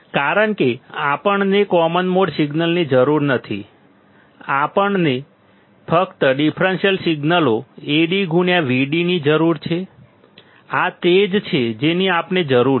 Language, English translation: Gujarati, Because we do not require common mode signal, we only require the differential signals Ad into Vd, this is what we require